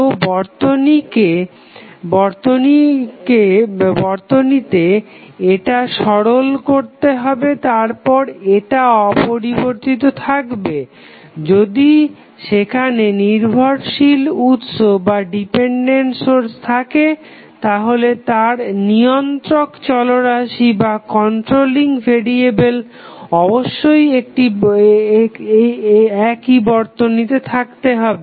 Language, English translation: Bengali, So, in this circuit, this would be simplified, then this would be untouched, if there are dependent sources, it is controlling variable must be in the same network